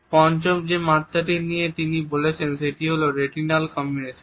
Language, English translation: Bengali, The fifth dimension he has talked about is that of retinal combination